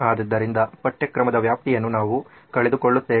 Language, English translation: Kannada, So the extent of syllabus is what we will miss out on